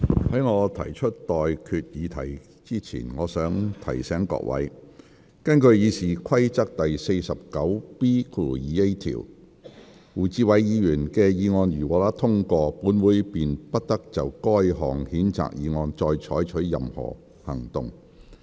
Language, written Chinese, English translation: Cantonese, 在我提出待決議題之前，我想提醒各位，根據《議事規則》第 49B 條，胡志偉議員的議案如獲得通過，本會便不得就該項譴責議案再採取任何行動。, Before I put the question to you I would like to remind Members that in accordance with Rule 49B2A of the Rules of Procedure if Mr WU Chi - wais motion is passed the Council shall take no further action on the censure motion